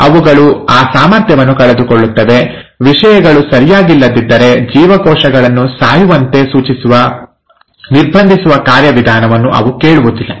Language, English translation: Kannada, They just lose that ability, they don’t listen to the restraining mechanism which asks the cells to die if things are not fine